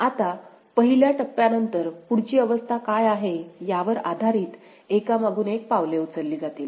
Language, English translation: Marathi, Now, after that, after the first step, successive steps are based on what is the next state